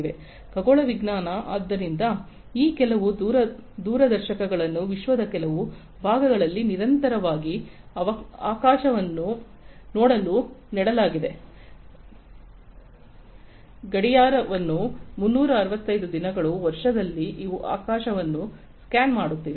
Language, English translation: Kannada, Astronomy, you know, so some of these telescopes have been planted in certain parts of the world to look at the sky continuously, round the clock 365 days, a year these are scanning the sky